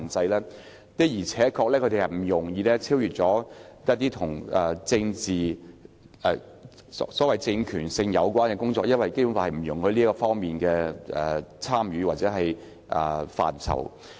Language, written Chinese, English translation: Cantonese, 區議會的而且確不容易超越一些跟政治和所謂政權性有關的工作，因為《基本法》不容許區議會涉及這些範疇。, Without a doubt the terms of reference of DCs cannot be extended easily to deal with work related to politics or the so - called political power because DCs are not allowed to be involved in these areas according to the Basic Law